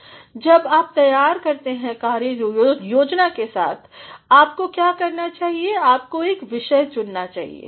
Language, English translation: Hindi, Now, once you are ready with the work plan, what should you do is you should choose a topic